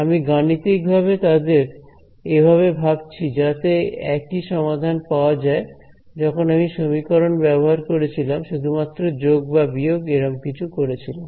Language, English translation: Bengali, I am mathematically thinking of them as this is the same the solution is the same, where I use the this an equation all I did was add subtract and things like that right